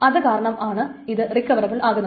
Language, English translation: Malayalam, So that's the reason of recoverability